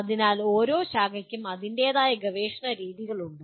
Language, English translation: Malayalam, So each branch has its own research methods